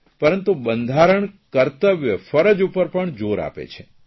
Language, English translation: Gujarati, But constitution equally emphasizes on duty also